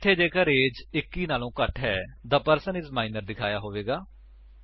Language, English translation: Punjabi, Here, if age is less than 21, The person is Minor will be displayed